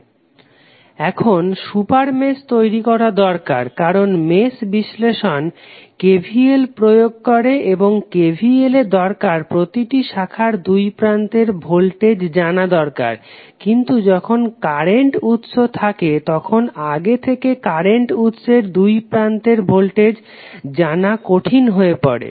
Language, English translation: Bengali, Now, super mesh is required to be created because mesh analysis applies to KVL and the KVL requires that we should know the voltage across each branch but when we have the current source we it is difficult to stabilized the voltage across the current source in advance